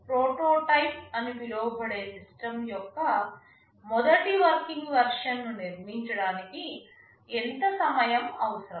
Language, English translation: Telugu, How much time is required to build the first working version of the system that is called a prototype